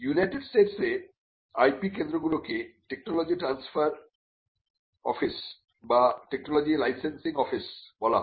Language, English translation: Bengali, In fact, in the United States the IP centers are called technology transfer offices or technology licensing offices